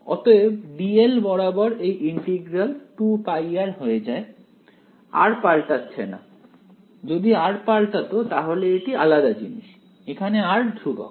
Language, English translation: Bengali, So, this integral over d l simply becomes 2 pi r ok, r is not varying; if r were varying then it would be different thing r is constant over here